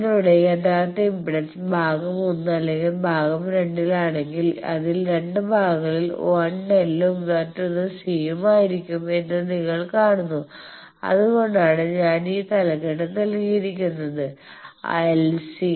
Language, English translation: Malayalam, And you see that if your original impedance is in region 1 or region 2 then 2 parts 1 of them will be L and another will be C that is why I have given this heading you see LC